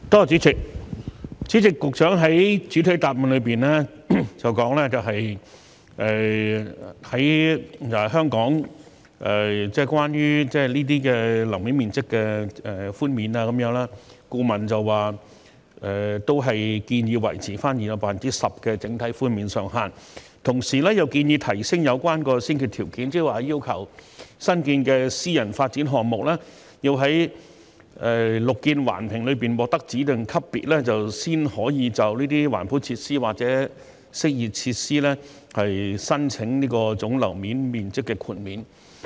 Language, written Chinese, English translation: Cantonese, 主席，局長在主體答覆中表示，關於香港樓面面積的寬免，顧問建議維持現有的 10% 整體寬免上限，同時又建議提升有關的先決條件，即要求新建的私人發展項目要在綠建環評中獲得指定級別，才可以就這些環保設施或適意設施申請總樓面面積寬免。, President according to the Secretarys main reply the consultant recommended that the current overall cap on Hong Kongs GFA concessions be maintained at 10 % and also recommended tightening the prerequisite by requiring new private development projects to achieve a specific rating under BEAM Plus in order to apply for GFA concessions for green and amenity features